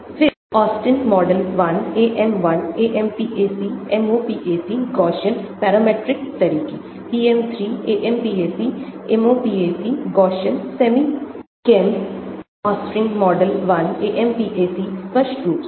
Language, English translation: Hindi, Then, Austin model 1; AM1, AMPAC, MOPAC, Gaussian, parametric methods; PM3, AMPAC, MOPAC, Gaussian, SemiChem Austin model 1; AMPAC, explicitly